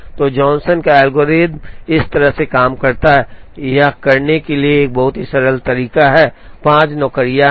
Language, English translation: Hindi, So, Johnson’s algorithm works like this, a very simple way to do it is there are 5 jobs